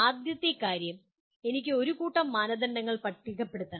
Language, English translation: Malayalam, First thing is I have to list a set of criteria